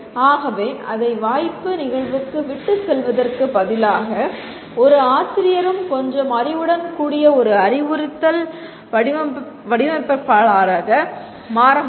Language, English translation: Tamil, So instead of leaving it to chance occurrence, instructional designer who a teacher also with a little bit of knowledge can become a instructional designer